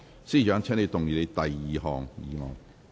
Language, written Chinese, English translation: Cantonese, 司長，請動議你的第二項議案。, Chief Secretary for Administration you may move your second motion